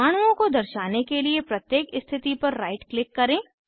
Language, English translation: Hindi, Right click at each position to show atoms